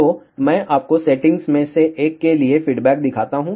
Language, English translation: Hindi, So, let me show you the response for one of the settings